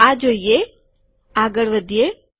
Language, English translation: Gujarati, See this, move forward